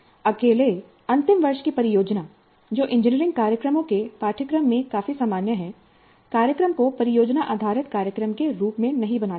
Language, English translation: Hindi, A final year project alone that is quite common in the curricula of engineering programs, but that alone does not make the program as project based program